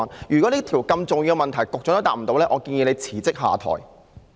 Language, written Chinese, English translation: Cantonese, 如果連這個如此重要的問題，局長也答不到，我建議他辭職下台。, If the Secretary cannot even answer such an important question I suggest that he should step down from office